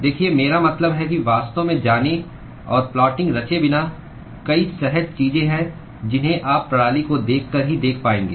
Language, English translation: Hindi, Look, I mean without actually going and plotting ,there are several intuitive things which you will be able to see simply by looking at the system